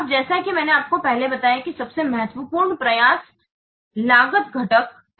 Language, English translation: Hindi, Now, as I have a little, one of the most important cost component is effort